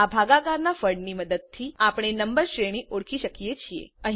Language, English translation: Gujarati, With the help of the quotient we can identify the range of the number